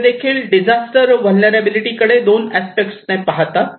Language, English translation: Marathi, So, they are looking disaster vulnerability from 2 aspects